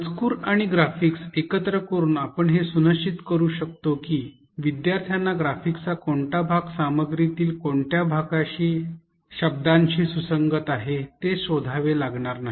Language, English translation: Marathi, By integrating text and graphics, we can ensure that the learner doesnt have to search which part of the graphics correspond to which words in the content